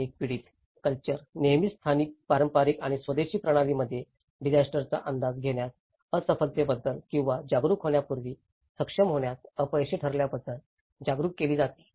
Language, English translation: Marathi, And a victim culture is always being made aware of the failure of the local, traditional and indigenous systems to either anticipate the disaster or be able to cope up when it happens